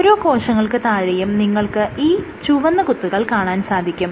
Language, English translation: Malayalam, So, underneath each cell you have these red dots